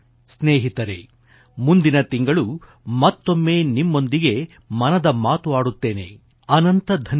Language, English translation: Kannada, Friends, we will speak again in next month's Mann Ki Baat